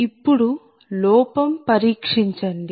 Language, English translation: Telugu, now check the error